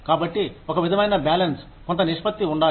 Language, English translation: Telugu, So, there has to be, some sort of balance, some ratio